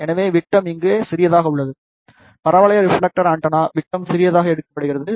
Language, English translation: Tamil, So, diameter is small d over here, diameter of the parabolic reflector antenna is taken as small d